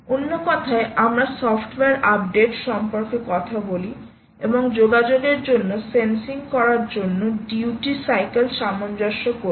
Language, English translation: Bengali, in other words, we talk about software updates and, ah, ah, adjusting the duty cycle